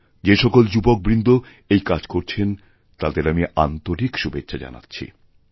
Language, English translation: Bengali, I convey my best wishes to all those young persons who are undertaking this mission